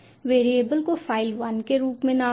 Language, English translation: Hindi, lets name the variable as file one